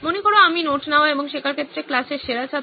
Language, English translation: Bengali, Imagine I am the best student in class in terms of taking notes and learning